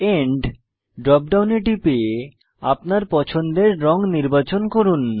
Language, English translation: Bengali, Select End drop down and select colour of your choice